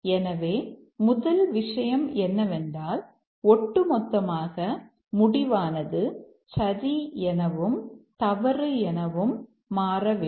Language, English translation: Tamil, So, the first thing is that the decision as a whole should become true and false